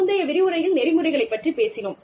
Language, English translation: Tamil, We talked about, ethics, in a previous lecture